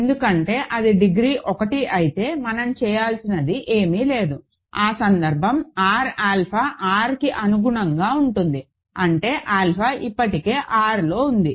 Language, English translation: Telugu, Because if it is degree 1, there is nothing that we need to do, that case will correspond to R alpha equal to R; that means, alpha is already in R